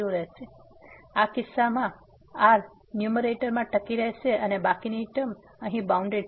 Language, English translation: Gujarati, So, in this case the 1 will survive in the numerator and the rest term here is bounded